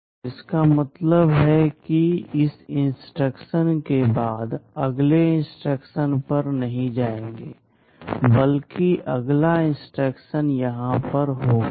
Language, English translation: Hindi, SoIt means after this instruction we shall not go to the next instruction, but rather next instruction will be here at Target